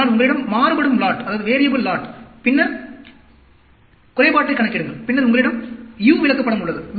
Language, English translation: Tamil, But if you have a variable lot, and then calculate the defect, then you have U chart